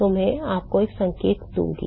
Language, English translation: Hindi, So, I will give you a hint